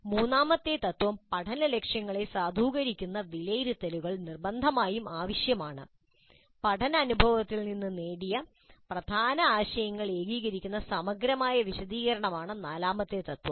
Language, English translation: Malayalam, The third principle is that assessments that validate the learning goals must be used and the fourth principle is thorough debriefing to consolidate the key concepts gained from the learning experience